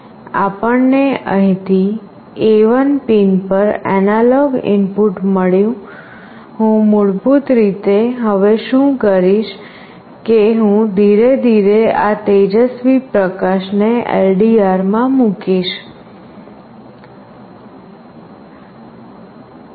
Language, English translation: Gujarati, So, we have got the analog input from here to A1 pin, what I will do basically, now is that I will put this bright light in this LDR slowly